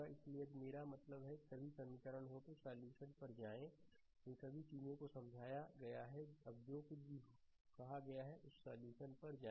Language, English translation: Hindi, So, if you I mean these are all the equations, now go to the solution, all these things are explained, now go to the solution right whatever I said